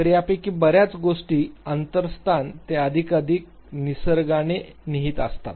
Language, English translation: Marathi, So, many of these things, the inter place they are more and more inferential in nature